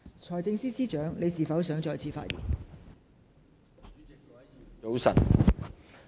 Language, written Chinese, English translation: Cantonese, 財政司司長，你是否想再次發言？, Financial Secretary do you wish to speak again?